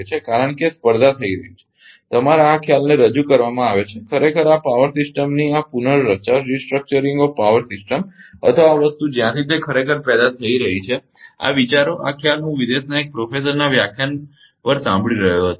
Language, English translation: Gujarati, Because competition has been your this concept has been ah introduced ah actually this restructuring of power system or this thing ah ah from where it has actually first generated; this concepts this concept I I was listening on lecture from one professor from abroad